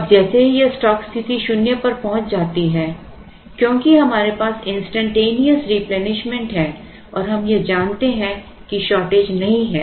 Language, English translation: Hindi, Now, the moment this stock position reaches zero because we have instantaneous replenishment and we also assume no shortage